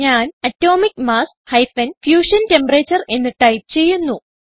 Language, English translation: Malayalam, I will type Atomic mass – Fusion Temperature